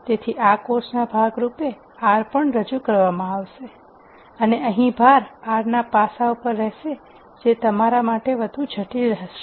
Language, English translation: Gujarati, So, as part of this course R will also be introduced and the emphasis here will be on the aspects of R that are more critical for what you learn in this course